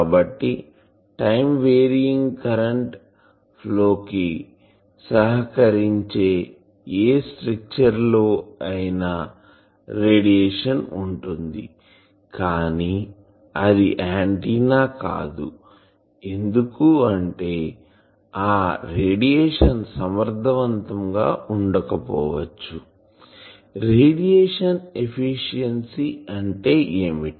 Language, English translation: Telugu, So, any structure that supports time varying electric current that will radiate, but that is not an antenna because that radiation may not be efficient; what do you mean by efficiency of radiation